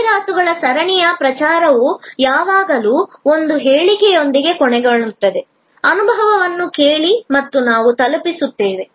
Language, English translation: Kannada, The campaign of the series of ads always ends with one statement, ask for an experience and we deliver